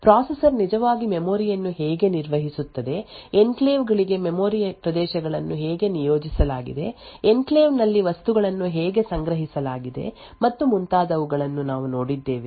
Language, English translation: Kannada, We looked at how the processor actually managed the memory, how it actually allocated memory regions for enclaves, how things were actually stored in the enclave and so on